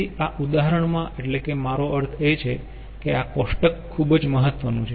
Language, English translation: Gujarati, so this problem, i mean this table, is very ah important